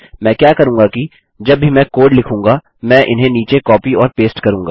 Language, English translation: Hindi, What I will do is, whenever I code, I copy and paste these down